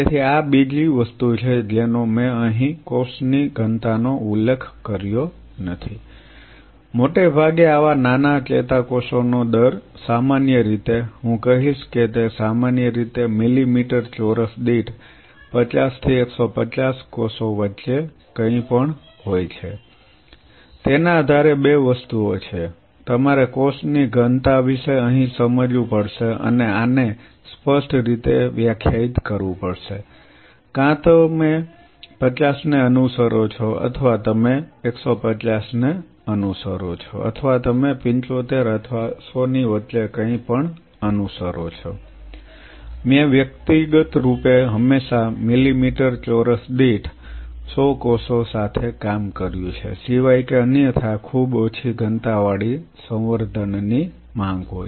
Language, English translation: Gujarati, So, this is another thing which I have not mentioned here cell density, mostly for these such small neurons are typically at the rate of I would say you know anything between 50 to 150 cells per millimeter square typically, depending on because there are 2 things you have to realize here about the cell density and this has to be defined very clearly either you follow 50 or you follow 150 or you follow anything in between say 75 or 100, I personally has always typically worked with 100 cells per millimeter square unless otherwise there is a demand for a very low density culture